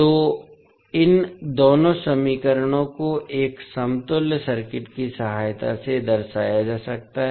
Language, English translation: Hindi, So, these two equations can be represented with the help of a equivalent circuit